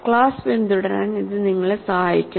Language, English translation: Malayalam, So, that way this will help you to follow the class